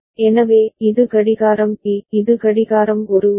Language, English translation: Tamil, So, this is clock B, and this is clock A right